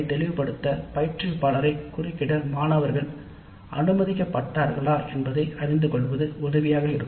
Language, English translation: Tamil, So it is helpful to know whether the students are always allowed to interrupt the instructor to seek clarifications